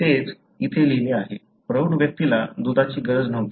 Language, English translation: Marathi, So, that is what is written here, milk was not needed by the adult